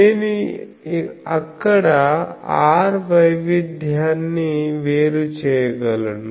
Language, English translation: Telugu, So, in I can separate there r variation